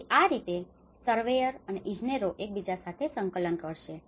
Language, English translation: Gujarati, So, this is how the surveyor and the engineers will coordinate with each other